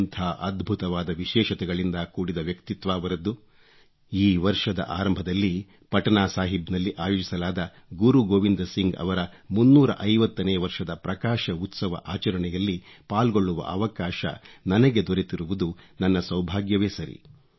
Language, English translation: Kannada, I'm fortunate that at the beginning of this year, I got an opportunity to participate in the 350th birth anniversary celebration organized at Patna Sahib